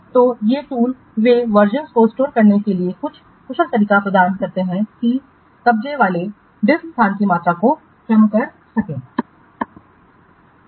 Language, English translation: Hindi, So, these tools they provide some efficient way for storing versions that will minimize the amount of occupied deck space